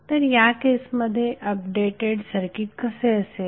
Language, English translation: Marathi, So what will be the updated circuit in that case